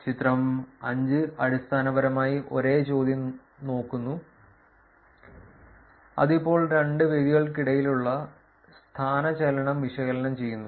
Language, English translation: Malayalam, Figure 5 is basically looking at the same question which is now we are analyzing the displacement between two venues